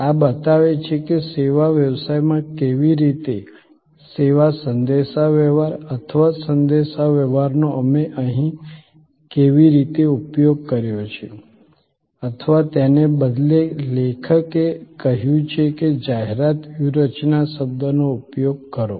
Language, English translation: Gujarati, This shows that how service communication or communication in service business, how we have used here or rather the author said use the word advertising strategies